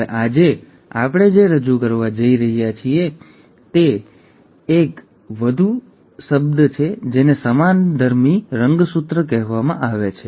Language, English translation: Gujarati, Now what we are going to introduce today is one more term which is called as the homologous chromosome